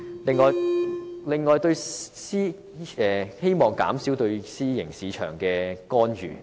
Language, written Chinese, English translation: Cantonese, 此外，我亦希望政府減少對私營醫療市場的干預。, Moreover I also hope that the Government can reduce its intervention in the private health care market